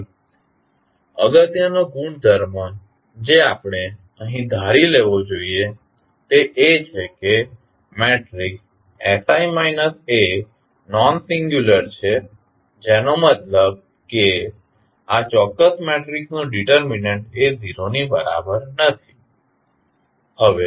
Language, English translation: Gujarati, So, the important property which we have to assume here is that the matrix sI minus A is nonsingular means the determent of this particular matrix is not equal to 0